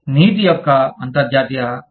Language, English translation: Telugu, International framework of ethics